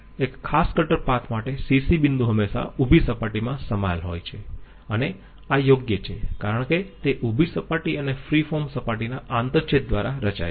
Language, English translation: Gujarati, The CC points for one particular cutter path are always contained in a vertical plane this is correct because they are formed by the intersection of a vertical plane and the free form surface